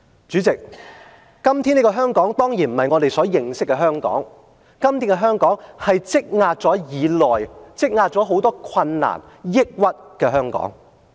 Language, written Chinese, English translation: Cantonese, 主席，今天這個當然不是我們認識的香港，今天的香港是積壓已久、積壓很多困難抑鬱的香港。, President todays Hong Kong is certainly not the one that we know . It is overwhelmed by a build - up of difficulties and anxieties